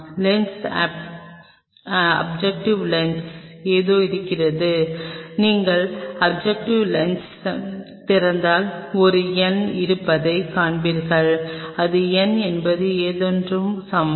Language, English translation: Tamil, There is something on the lens objective lens if you open the objective lens you will see there is a number which will be given like n is equal to something